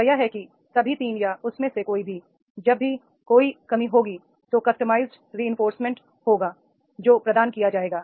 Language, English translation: Hindi, That is the in whatever all the three or any one of them, whenever there is a rel a lacking then there will be customized reinforcement that will be provided